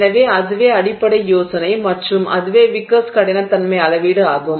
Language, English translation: Tamil, So, that's the basic idea and that's the wickers hardness measurement